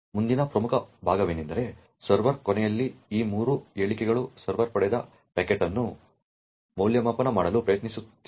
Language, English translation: Kannada, The next important part is these three statements over here at the server end, the server is trying to evaluate the packet that it has obtained